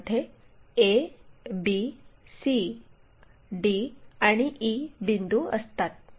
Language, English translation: Marathi, Mark this points a, b, e, c and d on this line